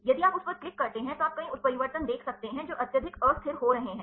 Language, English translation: Hindi, If you click on that, then you can see several mutations which are having highly destabilizing